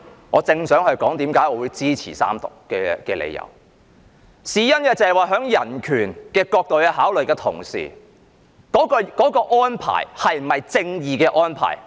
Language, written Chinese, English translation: Cantonese, 我正想提出我支持三讀的理由，因為從人權角度作考慮的同時，也要考慮有關安排究竟是否合乎正義。, I was about to explain why I support the Third Reading . To me human right is not the sole consideration . We should also consider if the arrangement is just or not